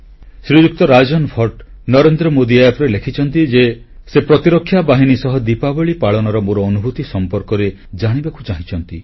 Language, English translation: Odia, Shriman Rajan Bhatt has written on NarendramodiApp that he wants to know about my experience of celebrating Diwali with security forces and he also wants to know how the security forces celebrate Diwali